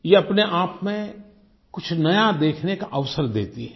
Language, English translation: Hindi, This in itself gives us an opportunity to see something new